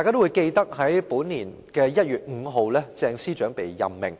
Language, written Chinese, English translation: Cantonese, 在本年1月5日，鄭司長獲任命。, Ms CHENG was appointed on 5 January this year